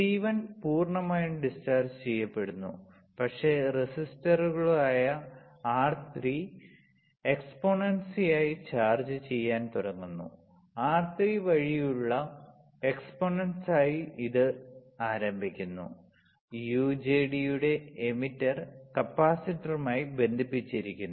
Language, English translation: Malayalam, C1 is fully discharged C1 gets fully discharged, but begins to charge up exponentially through the resistors R3 right; this is the start exponentially through the R3, there is the emitter of the UJT is connected to the capacitor, right